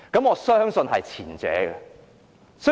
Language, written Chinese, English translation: Cantonese, 我相信會是前者。, I believe the former arrangement will be adopted